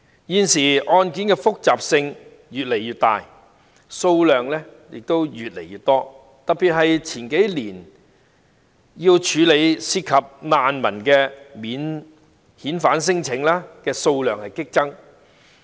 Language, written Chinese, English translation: Cantonese, 現時，案件的複雜性越來越大，數量亦越來越多，特別是數年前涉及難民的免遣返聲請的數量激增。, Nowadays cases have increased in both complexity and number and in particular there had been an upsurge in the number of non - refoulement claims involving refugees few years ago